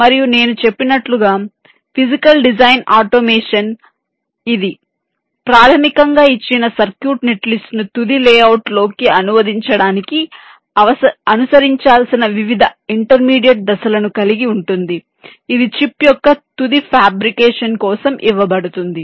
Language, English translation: Telugu, ok, and physical design automation, as i had mentioned, it basically consists of the different intermediates, steps that need to be followed to translate ah, given circuit net list, into the final layout which can be given for final fabrication of the chip